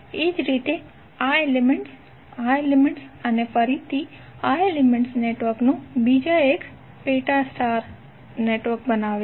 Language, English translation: Gujarati, Similarly, this element, this element and again this element will create another star subsection of the network